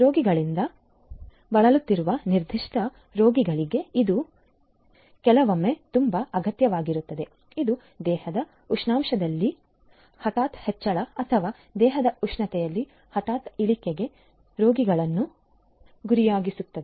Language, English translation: Kannada, This sometimes is very much required particular patients who are suffering from diseases which make the patients vulnerable to sudden increase in the body temperature or sudden decrease in the body temperature